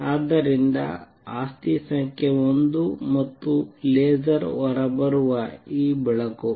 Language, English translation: Kannada, So, property number 1 and this light which is coming out this laser